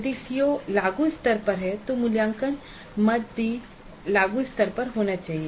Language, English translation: Hindi, If the CO is at apply level the assessment item also should be at apply level